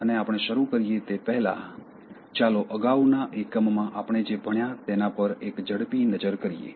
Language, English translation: Gujarati, And before we start, let me take a quick look at what we did in the previous one